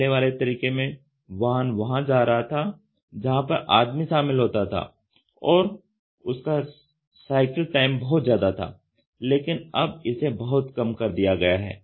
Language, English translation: Hindi, Earlier the vehicle was moving where there was man involved, but it had the cycle time was large, but now it has shrunk down drastically